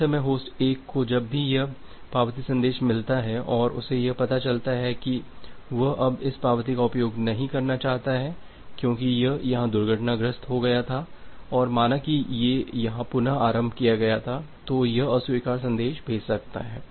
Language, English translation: Hindi, At the same time, host 1 whenever it has received this acknowledgement message and it finds out that it do not want to use this acknowledgement anymore because it has crashed here and say restarted here, then it can sends the reject message